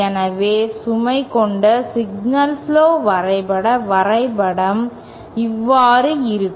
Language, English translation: Tamil, If you have a signal flow graph diagram like this